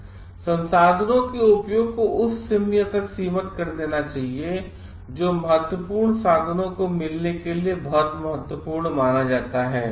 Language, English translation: Hindi, Using of resources should be restricted to the extent it is considered very important for meeting of the vital means